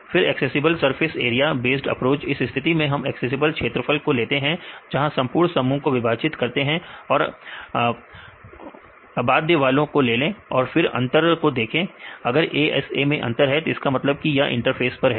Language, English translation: Hindi, Then we can accessible surface area based approach in this case we take the accessible surface area where the whole complex and cut into pieces and take this unbound one right and the see the difference if there is a difference in ASA then means that they are in the interface right